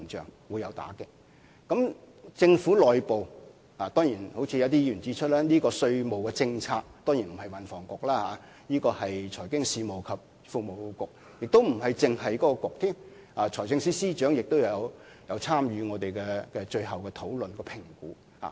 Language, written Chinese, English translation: Cantonese, 正如一些議員所言，政府內部負責稅務政策的當然不獨是運輸及房屋局負責，還包括是財經事務及庫務局，就連財政司司長也有參與我們最後的討論和評估。, As mentioned by some Members in the Government the Policy Bureau or person responsible for tax policies is not the Transport and Housing Bureau alone but the Financial Services and the Treasury Bureau and even the Financial Secretary are also involved in our final discussion and assessment